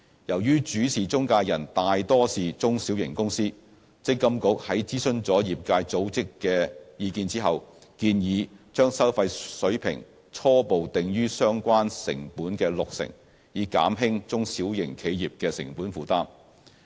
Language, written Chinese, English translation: Cantonese, 由於主事中介人大多數是中小型公司，積金局在諮詢了業界組織的意見後，建議把收費水平初步定於相關成本的六成，以減輕中小型企業的成本負擔。, Noting that many PIs are small and medium - sized companies MPFA having consulted industry bodies proposes to set the fees initially at 60 % of the relevant costs to reduce the cost burden on small and medium - sized enterprises